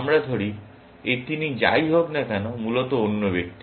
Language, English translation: Bengali, Let us say, this is him whatever, the other person, essentially